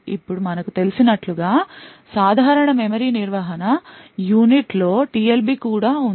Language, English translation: Telugu, Now as we know the typical memory management unit also has a TLB present in it